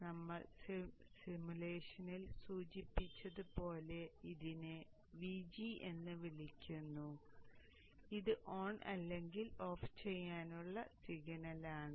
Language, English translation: Malayalam, So therefore I am calling this one as VG as we had indicated in the simulation and this is the signal to drive this on or off